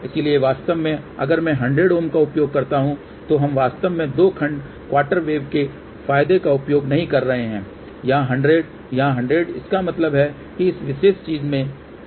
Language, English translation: Hindi, So, in reality if I use 100 here we are not really using advantages of two section quarter wave ; 100 here, 100 here; that means, this particular thing has not done anything